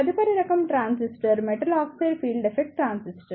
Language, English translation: Telugu, The next type of transistor is the Metal Oxide Field Effect Transistor